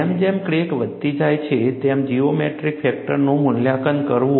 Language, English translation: Gujarati, Evaluating the geometry factor as the crack grows